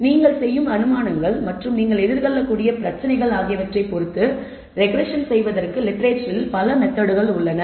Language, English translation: Tamil, So, there are several methods also, that are available in the literature for performing the regression depending on the kind of assumptions you make and the kind of problems that may you may encounter